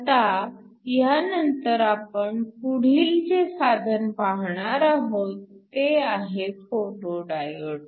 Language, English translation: Marathi, So, The next device we are going to look is a photo diode